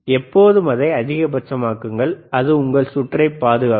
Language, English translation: Tamil, Always make it maximum, that will that will save your circuit, all right